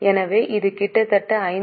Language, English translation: Tamil, So, it is almost a ratio of 5